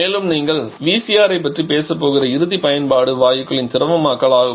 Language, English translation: Tamil, And a final application that you are going to talk about about the VCR is the liquification of gases